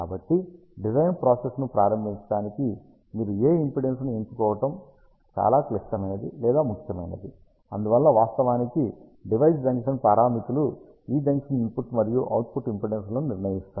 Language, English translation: Telugu, So, it is very important or critical to choose what impedance you will use to start the design process, so that is why the device junction parameters actually decide this junction input and output impedances